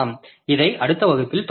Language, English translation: Tamil, We'll continue with this in the next class